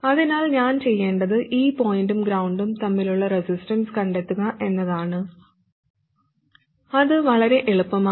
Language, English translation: Malayalam, So what I have to do is to find the resistance between this point and ground and that's quite easy